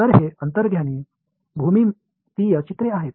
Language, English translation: Marathi, So, this is the intuitive geometric pictures